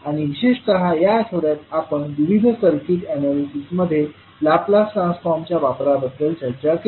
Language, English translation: Marathi, And particularly in this week, we discussed about the application of Laplace Transform in various circuit analysis